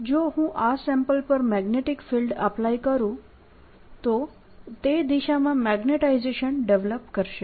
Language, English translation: Gujarati, so if i take this sample, apply a magnetic field, it'll develop a magnetization in that direction